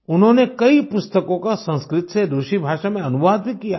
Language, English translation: Hindi, He has also translated many books from Sanskrit to Russian